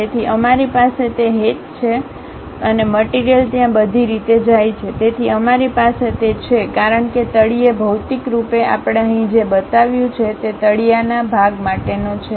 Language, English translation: Gujarati, So, we have those hatches and material goes all the way there, so we have that; because bottom materially, the hatched portion what we have shown here is for that bottom portion